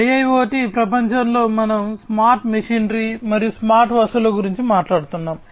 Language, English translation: Telugu, So, in the IIoT world we are talking about smart machinery, smart objects, smart physical machinery